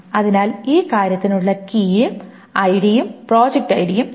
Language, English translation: Malayalam, The only candidate key here is ID and project ID